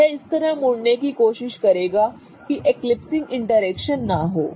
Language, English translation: Hindi, It will try and twist in order to avoid those eclipsing interactions